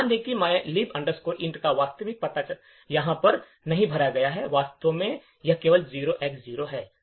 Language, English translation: Hindi, Notice that the actual address of mylib int is not filled in over here in fact it is just left is 0X0